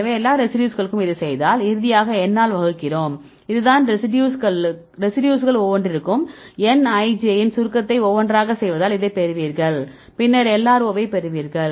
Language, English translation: Tamil, So, so do it for all the residues and finally, we divided by n right this is the this; this is how you will get this for we do the summation of n ij for each of these residues sum up together and then we get this a value right you normalized with the n you will get LRO